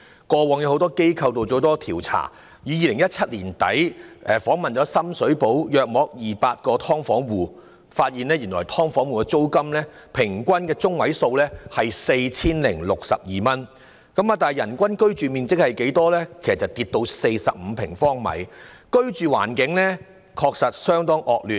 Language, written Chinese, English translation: Cantonese, 過往很多機構曾進行多項調查，有機構在2017年年底訪問約200個深水埗"劏房戶"，發現"劏房戶"的租金中位數是 4,062 元，但人均居住面積卻減少至45平方呎，居住環境確實相當惡劣。, Quite a lot of organizations have conducted a host of surveys in the past . For instance an organization interviewed about 200 households living in subdivided units in Sham Shui Po in late 2017 coming up with the findings that the median rental payment borne by these households was 4,062 but the average living space per person had decreased to 45 sq ft Their living environment is extremely poor indeed